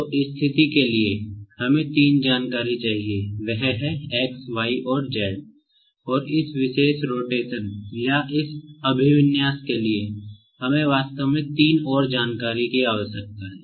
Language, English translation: Hindi, So, for position we need three information, that is, X, Y and Z ; and for this particular rotation or this orientation, we need actually the three more information